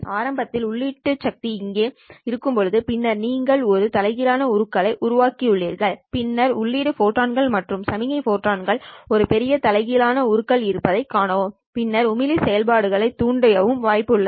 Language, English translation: Tamil, Well initially initially when the input power is here and then you have created a population inversion, then there is a chance for these input photons, the signal photons to see a larger population inversion and then stimulate the emission process